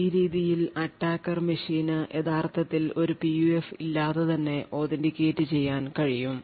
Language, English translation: Malayalam, In this may be attacker machine can get authenticated without actually having a PUF